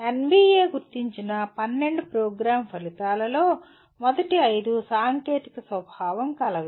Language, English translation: Telugu, And out of the 12 Program Outcomes identified by NBA, the first 5 are dominantly technical in nature